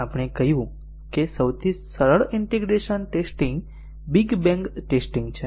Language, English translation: Gujarati, We said that the simplest integration testing is big bang testing